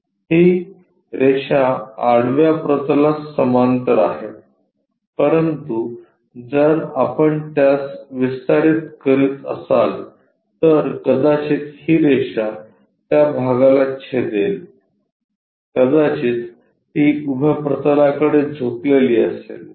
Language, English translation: Marathi, This line is parallel to horizontal plane, but if you are extending it this line might intersect there it is incline with vertical plane